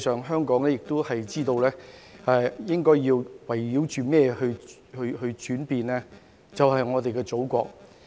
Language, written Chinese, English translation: Cantonese, 香港應該知道要圍繞着甚麼去轉變，便是我們的祖國。, We should find out what Hong Kong is revolving around and it is our Motherland